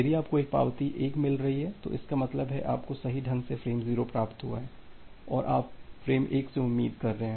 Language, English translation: Hindi, If you are getting an acknowledgement 1; that means, you have correctly received frame 0 and you are expecting from for frame 1